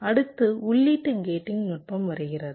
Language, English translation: Tamil, ok, next comes the input gating technique